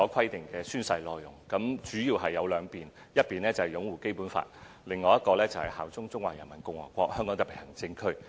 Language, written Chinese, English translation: Cantonese, 有關的宣誓內容主要涉及兩方面，一方面是擁護《基本法》，另一方面是效忠中華人民共和國香港特別行政區。, The oath content mainly involves two aspects one of which is to uphold BL and the other is to swear allegiance to HKSAR of PRC